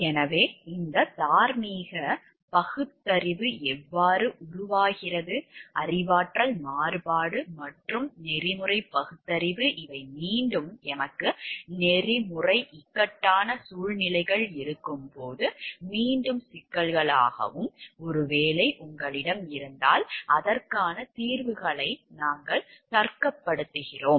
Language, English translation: Tamil, So, how these moral reasoning develops, cognitive dissonance and ethical reasoning these are again issues of when you have ethical dilemmas and maybe if you have you are reasoning out your solutions for it